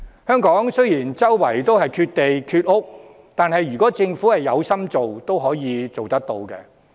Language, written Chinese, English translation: Cantonese, 香港雖然缺地缺屋，但如果政府有心做，仍可以做得到。, Despite the lack of land and housing in Hong Kong the Government can still provide more housing if it has the determination to do so